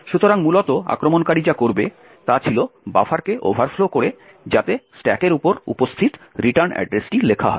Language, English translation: Bengali, So, essentially what the attacker would do was overflow the buffer so that the return address which is present on the stack is over written